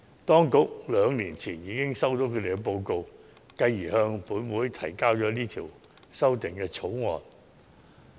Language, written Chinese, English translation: Cantonese, 當局兩年前已收到他們的報告，繼而向本會提交《條例草案》。, The Administration received their report two years ago and it subsequently introduced the Bill into this Council